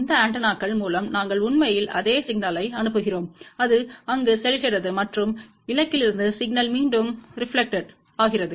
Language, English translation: Tamil, Through these antennas we actually send the same signal, it goes there and from the target the signal reflects back